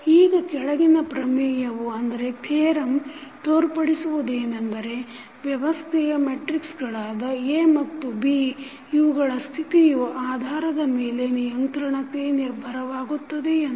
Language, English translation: Kannada, Now, the following theorem shows that the condition of controllability depends on the coefficient matrices A and B of the system